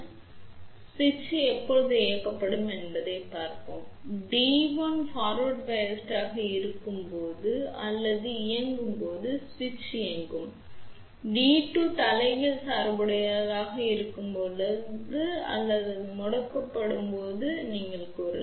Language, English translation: Tamil, So, let us see when switch will be on switch will be on when D 1 is forward bias or on and when D 2 is reverse bias or you can say it is off ok